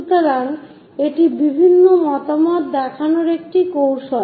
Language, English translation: Bengali, So, it is a technique of showing different views